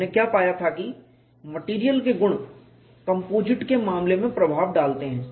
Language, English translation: Hindi, What we have found was the material [car/can] properties do influence in the case of composites